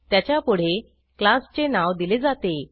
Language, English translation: Marathi, It is followed by the name of the class